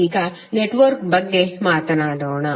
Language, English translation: Kannada, Now let us talk about the network